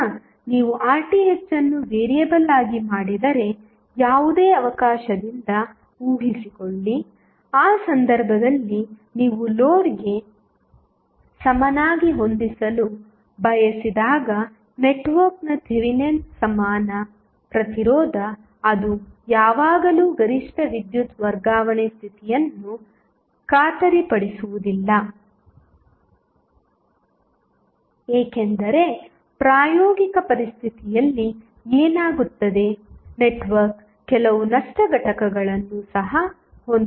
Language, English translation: Kannada, So, in that case the Thevenin excellent existence of the network when you want to set equal to load, it will not always guarantee the maximum power transfer condition, because what happens in practical situation the network will have some last components also